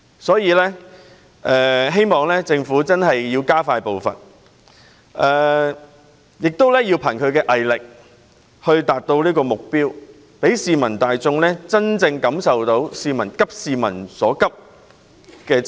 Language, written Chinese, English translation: Cantonese, 所以，我希望政府加快步伐，憑藉毅力達到目標，讓市民大眾真正感受到政府"急市民之所急"。, Hence we hope the Government will quicken its pace and work towards this goal with perseverance showing a sense of urgency for the peoples immediate concerns that would resonate with the public